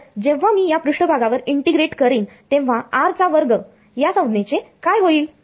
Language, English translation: Marathi, So, when I integrate this over the surface what will happen to the r square term